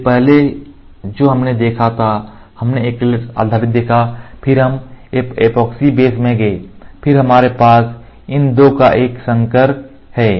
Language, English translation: Hindi, So, first what we saw was, we saw acrylate acrylate based, then we went to epoxy base, then we have a hybrid of these 2 ok